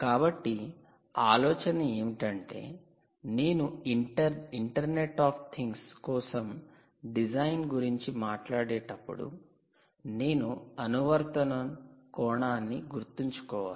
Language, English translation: Telugu, so the idea really is, when you talk about the design for internet of things, you have to keep in mind the application